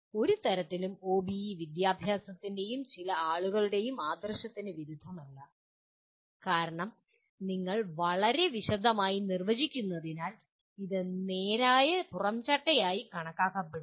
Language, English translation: Malayalam, In no way OBE kind of goes against the spirit of education and some people because you are defining so much in detail it is considered as a straight jacket